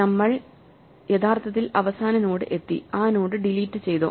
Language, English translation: Malayalam, Have we actually ended up at the last node and deleted the last node